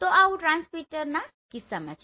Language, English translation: Gujarati, So this is in case of transmitter